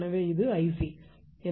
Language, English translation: Tamil, So, this is I c